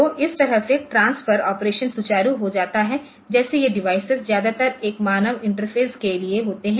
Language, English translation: Hindi, So, that way the transfer the operation becomes smooth, like these devices are mostly for a human interface ok